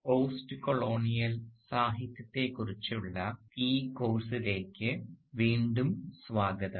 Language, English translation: Malayalam, Hello and welcome back to this course on postcolonial literature